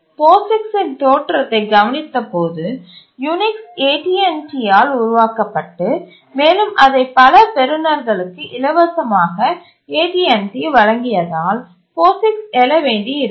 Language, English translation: Tamil, If we look at the origin of POGICS, it had to arise because Unix once it was developed by AT&T, it gave it free to many recipients